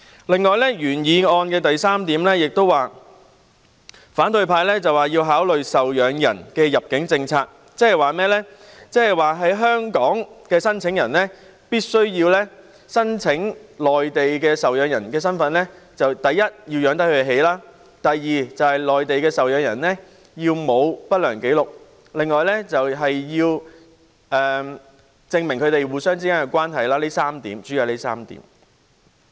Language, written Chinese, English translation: Cantonese, 此外，在原議案的第三部分，反對派要求制訂考慮受養人的入境政策，即是以身處香港的申請人身份申請內地受養人來港時，第一，可以負擔其生活；第二，內地受養人沒有不良紀錄；還要證明他們之間的關係，主要是以上3點。, In addition in part 3 of the original motion the opposition calls for formulation of an immigration policy that takes into account the dependents . In other words when an application is submitted for the Mainland dependents to come to Hong Kong firstly the applicant in Hong Kong should be able to afford their living costs; secondly the dependents in the Mainland should have no adverse record; and it is also necessary to prove the relationship between them . The aforesaid three points are the keys